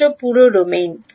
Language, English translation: Bengali, In the whole domain